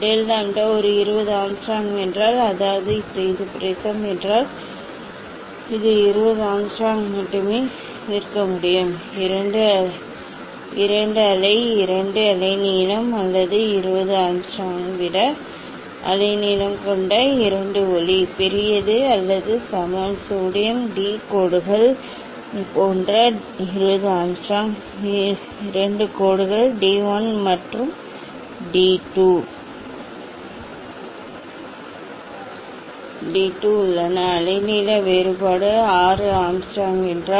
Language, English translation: Tamil, And then you can conclude that this if del lambda is a 20 Angstrom, that means, this prism it, it can resolve only 20 Angstrom only two wave two wavelength or two light having wavelength greater than the 20 Angstrom ok, greater or equal to the 20 Angstrom like sodium d lines, it has two lines d 1 and d 2, the wavelength difference is the 6 Angstrom